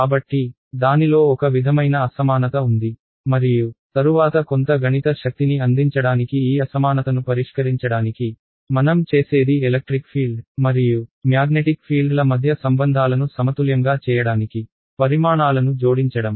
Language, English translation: Telugu, So, there is sort of asymmetry in it and so to fix this asymmetry to give us some mathematical power later on, what we do is we add to quantities to make these relations between electric field and magnetic field symmetric